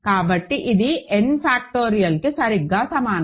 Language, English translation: Telugu, So, this is exactly equal to n factorial ok